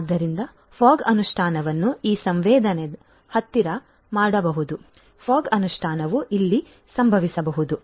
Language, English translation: Kannada, So, fog implementation can be done closer to this sensing so, fog implementation can happen over here, but you know